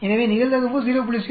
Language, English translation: Tamil, So the probability is given as 0